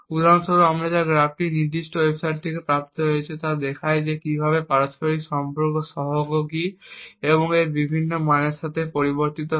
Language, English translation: Bengali, This graph for example which is obtained from this particular website shows how the maximum correlation coefficient varies with different values of key